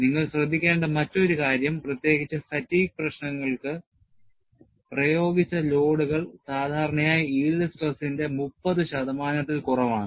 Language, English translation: Malayalam, And another point that you will have to note is, notably, for fatigue problems, the applied loads are generally less than 30 percent of the yield stress